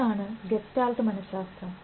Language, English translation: Malayalam, That is the gestalt psychology